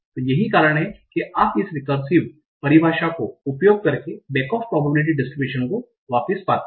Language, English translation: Hindi, So that's how you find the back of probability distribution using this recursive definition